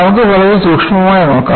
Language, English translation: Malayalam, Let us, look at very closely